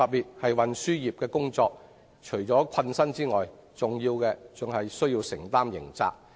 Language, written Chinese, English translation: Cantonese, 從事運輸業除了困身外，更有機會承擔刑責。, Professional drivers are not only required to work long hours they may even be exposed to criminal liability